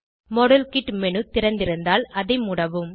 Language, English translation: Tamil, Exit the model kit menu, if it is open